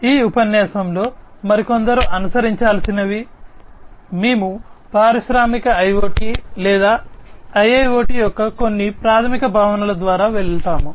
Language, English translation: Telugu, In this lecture and few others to follow, we will be going through some of the basic concepts of industrial IoT or IIoT